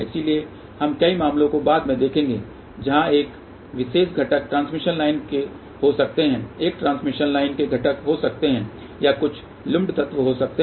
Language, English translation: Hindi, So, we will see many cases later on where this particular component may be a transmission line or this component may be a transmission line or there may be some lump element